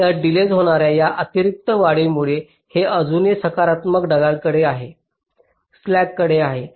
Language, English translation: Marathi, so even because of this additional increase in the delay, this is still remains with the positive flag